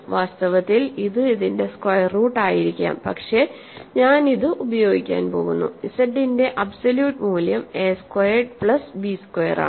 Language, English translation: Malayalam, In fact, it is the square root of this maybe, but I am going to use this, absolute value of z is a squared plus b squared